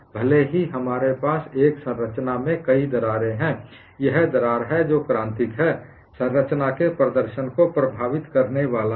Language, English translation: Hindi, Even though we have multiple cracks in a structure, it is the crack that is critical, is going to affect the performance of the structure